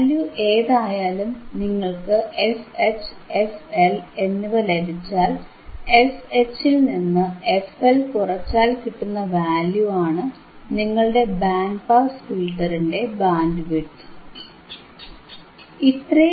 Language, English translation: Malayalam, wWhatever the value is there, once you know f H once you knowand f L, if f H minus f L will give you this band which is your bandwidth and that is your bandwidth of your band pass filter